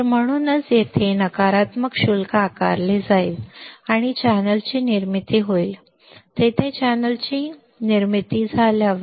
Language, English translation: Marathi, So, it is why negative charges would be like here and formation of channel would be there formation of channel would be there ok